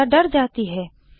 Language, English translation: Hindi, Anita gets scared